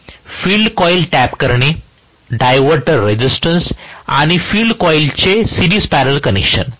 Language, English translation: Marathi, So, tapping of field coil, diverter resistance and series parallel connection of field coils